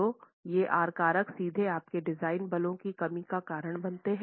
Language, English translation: Hindi, So, these are factors directly lead to reduction of your design forces